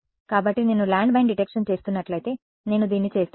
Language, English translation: Telugu, So, if I were doing landmine detection I would do this